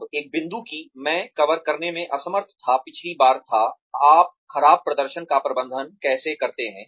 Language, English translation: Hindi, Now, the one point that, I was unable to cover, last time was, how do you manage poor performance